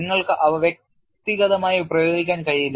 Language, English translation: Malayalam, You cannot apply them individually